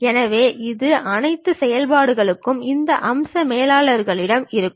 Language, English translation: Tamil, So, all these operations you will have it at these feature managers